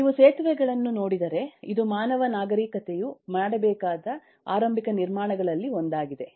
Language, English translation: Kannada, so if you look into bridges, this is one of the earliest constructions that eh the human civilization had to do